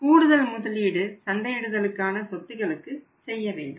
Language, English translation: Tamil, We have made investment in the marketing assets